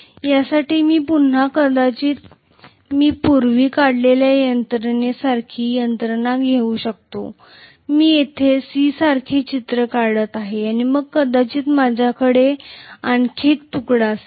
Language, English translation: Marathi, So for this let me again take the same mechanism as what probably I drew earlier, I am drawing more like a C here and then maybe I have one more piece here